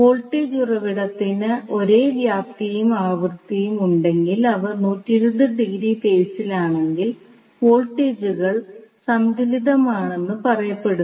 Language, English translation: Malayalam, So, if the voltage source have the same amplitude and frequency and are out of phase with each other by 20, 20 degree, the voltage are said to be balanced